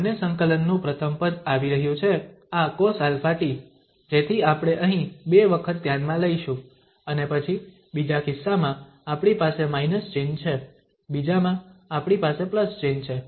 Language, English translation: Gujarati, The first term of both the integrals will be coming, this cos alpha t so that we have considered here with the two times and then the second, in one case we have the minus sign, in the other one we have the plus sign